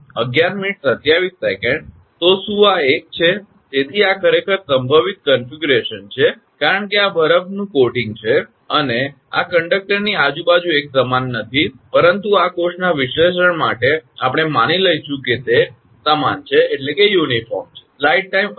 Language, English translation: Gujarati, So, is this one; so this is actually more likely configuration, because this is the ice coating and this is not uniform around the conductor, but for the analysis in this course, we will assume they are uniform